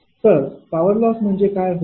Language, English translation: Marathi, What will be the power loss